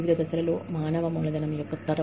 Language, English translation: Telugu, Generation of human capital at various stages